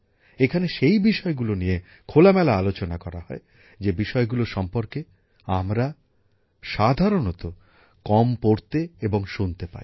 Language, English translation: Bengali, Here those topics are discussed openly, about which we usually get to read and hear very little